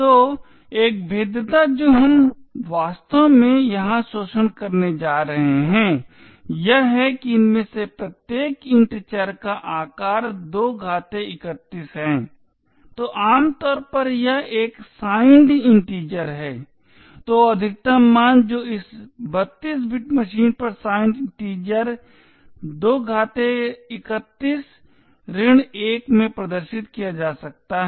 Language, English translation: Hindi, So the one vulnerability that we are actually going to exploit here is that each of these variables int has a size of 2^31, so typically this is a signed integer so the maximum value that can be represented in the signed integer on this 32 bit machine is 2^31 minus 1